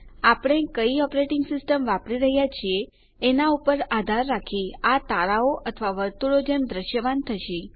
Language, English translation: Gujarati, Depending on which operating system we are using, this will appear as stars or circles